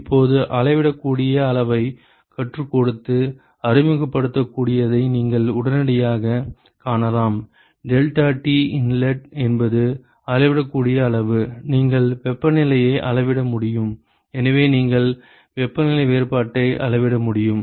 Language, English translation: Tamil, Now, you can immediately see that we have taught and introducing the measurable quantity, deltaT inlet is a measurable quantity, you can measure the temperatures and therefore, you should be able to measure the temperature difference